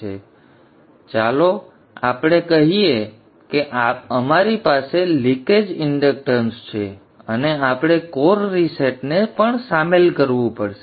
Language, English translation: Gujarati, Now let us say we have leakage inductance and we also have to incorporate core resetting